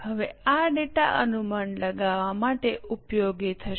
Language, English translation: Gujarati, Now this data will be useful for making projections